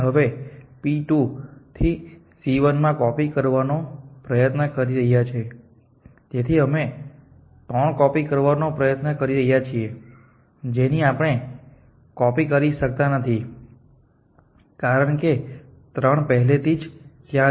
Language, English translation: Gujarati, We are try to know copy things in to c 1 from p 2 so we are try to copy 3 with 3 we cannot copy, because 3 already exists in this